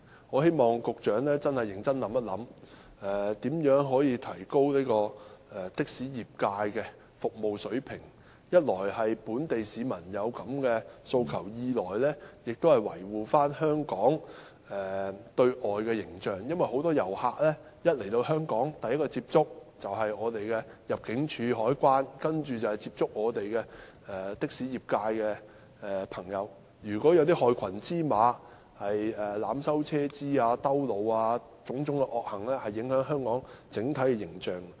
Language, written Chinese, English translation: Cantonese, 我希望局長認真想一想如何提高的士業界的服務水平，一來是因為本地市民有此訴求，二來亦要維護香港的對外形象，因為很多遊客來到香港後，首先接觸的是入境事務處和海關人員，然後就是的士業界的朋友，如果有害群之馬濫收車資、繞路等，種種惡行會影響香港的整體形象。, I hope the Secretary will seriously ponder how to raise the service standard of the taxi trade because firstly the local people have such a demand and secondly we need to protect Hong Kongs external image . Because upon arrival at Hong Kong many tourists will first come into contact with immigration and customs officers and then members of the taxi trade . If there are black sheep charging excessive fares taking detours etc all such malpractices will tarnish the image of Hong Kong overall